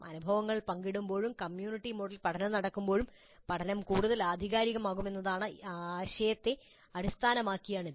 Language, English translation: Malayalam, This is based on the idea that when the experiences are shared and when the learning happens in a community mode probably the learning will be more authentic